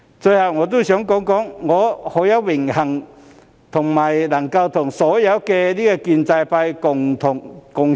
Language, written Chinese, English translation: Cantonese, 最後，我想說句，我很榮幸能夠和所有建制派議員共事。, Finally I wish to say that I feel it an honour to be able to work with all pro - establishment Members